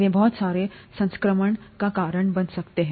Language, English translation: Hindi, They can, cause a lot of infection